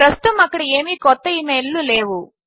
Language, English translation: Telugu, There are no new emails at the moment